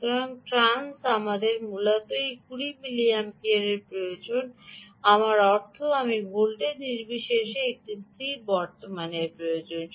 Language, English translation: Bengali, so, trans, we have essentially require this twenty milliamperes of, i mean ah, i am require a fix current, this irrespective of the ah voltage